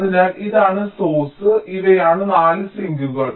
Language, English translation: Malayalam, so this is the source and these are the four sinks